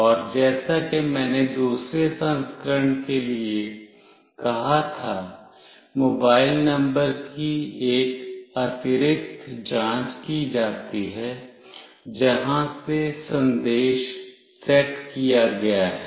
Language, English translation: Hindi, And as I said for the second version, an additional check is made for the mobile number from where the message has been set